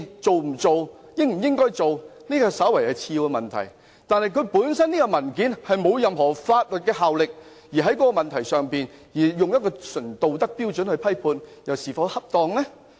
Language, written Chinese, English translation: Cantonese, 這份文件並無任何法律效力，議員在這個問題上純粹以道德標準作出批判。這又是否恰當？, Since the paper has no legal effect is it appropriate for Members to make a judgment on this issue purely on the basis of moral standards?